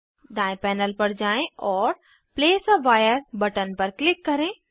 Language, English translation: Hindi, Go to right panel and click place a wire button